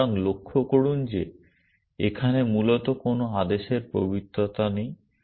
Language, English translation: Bengali, So, notice that there is no order sanctity here essentially